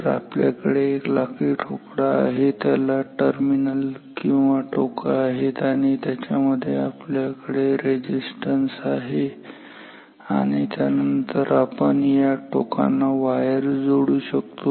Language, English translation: Marathi, So, so we have a wooden box with leads or terminals and inside it we have the resistance inside the box and then we can connect wires to these terminals